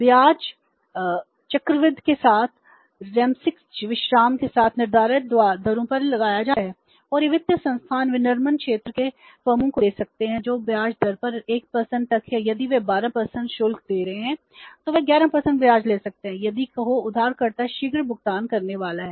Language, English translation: Hindi, Interest is charged on stipulated rates with quarterly rest with a quarterly compounding and some incentives these financial institutions can give to the manufacturing sector firms that is up to 1% in the interest means if they are charging 12% interest they can charge 11% interest if the borrowing firm is the prompt pay master